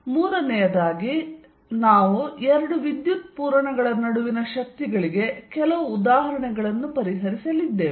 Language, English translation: Kannada, Third, then we are going to solve some examples for forces between two charges